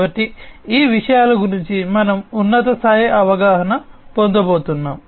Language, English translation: Telugu, So, these things we are going to get a high level understanding about